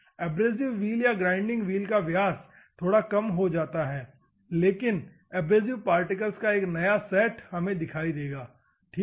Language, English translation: Hindi, The abrasive wheel or the grinding wheel diameters slightly reduces, but a new set of abrasive particles will come into the picture, ok